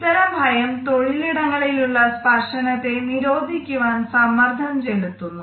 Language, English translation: Malayalam, This climate of fear has forced many organizations to prohibit the use of touch in the workplace